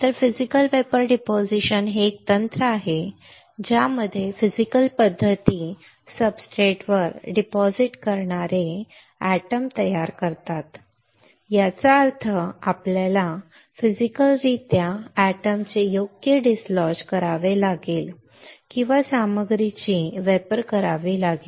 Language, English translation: Marathi, So, Physical Vapor Deposition is a technique right in which physical methods produce the atoms that deposit on the substrate; that means, we have to physically dislodge the atoms right or vaporize the material